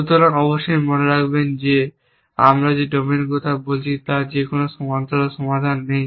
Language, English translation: Bengali, So, of course keep in mind that domain that we are talking about has no parallel solutions because it has single arm robot